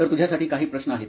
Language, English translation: Marathi, So few questions to you